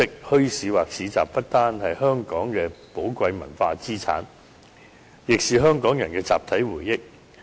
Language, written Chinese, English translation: Cantonese, 墟市或市集不單是香港的寶貴文化資產，亦是香港人的集體回憶。, Bazaars or markets are not only valuable cultural assets of Hong Kong but also serve as a collective memory of the people of Hong Kong